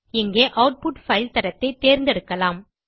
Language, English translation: Tamil, Here you can choose the output file quality